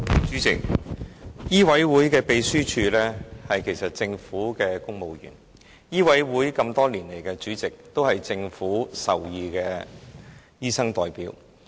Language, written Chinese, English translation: Cantonese, 主席，醫委會的秘書處職員其實是政府公務員，而醫委會多年來的主席都是政府屬意的醫生代表。, President the staff of the MCHK Secretariat are actually civil servants and over the years the chairmanship of MCHK has been held by doctor representatives preferred by the Government